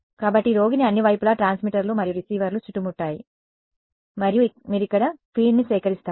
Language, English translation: Telugu, So, patient is surrounded on all sides by transmitters and receivers and you collect the field over here